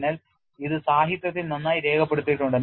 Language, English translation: Malayalam, So, it is well documented in the literature